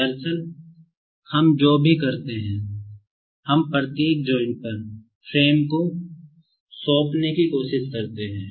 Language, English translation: Hindi, Actually, what we do is, we try to assign frame at each of the joints